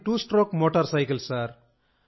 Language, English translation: Telugu, It was a two stroke motorcycle